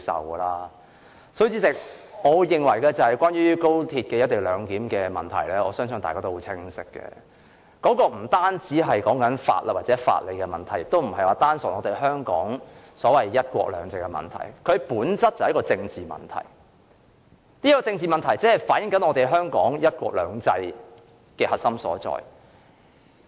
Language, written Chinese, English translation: Cantonese, 因此，代理主席，我認為關於高鐵"一地兩檢"方案的問題，相信大家都很清楚知道不單是法律或法理問題，也不單純是涉及香港"一國兩制"的問題，而是在本質上屬政治問題，只反映出香港"一國兩制"的核心所在。, Therefore Deputy President I consider and I am sure it is very obvious to all that the problems relating to the co - location arrangement of XRL are not merely legal issues or issues concerning legal principles . They are also in no way problems involving purely the principle of one country two systems but are in essence political problems reflecting the core issues of the implementation of one country two systems in Hong Kong